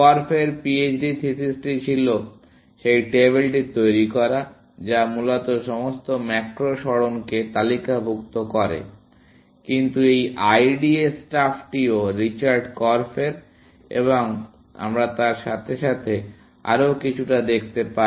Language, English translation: Bengali, Korf’s PHD thesis was to build that table, which listed all the macro moves, essentially, But this IDA stuff is also by Richard Korf, and we see a bit more of